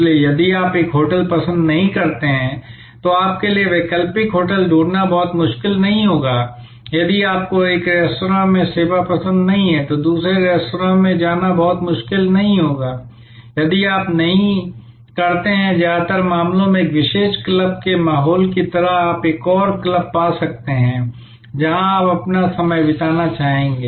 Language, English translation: Hindi, So, if you do not like one hotel it will not be very difficult for you to find an alternative hotel, if you do not like the service at one restaurant, it will not be very difficult to move to another restaurant, if you do not like the ambiance of one particular club in most cases you can find another club where you would like to spend your time